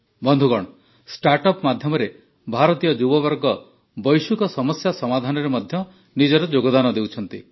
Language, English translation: Odia, Indian youth are also contributing to the solution of global problems through startups